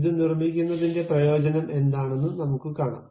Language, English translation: Malayalam, We will see what is the advantage in constructing this